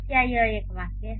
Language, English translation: Hindi, Is it a sentence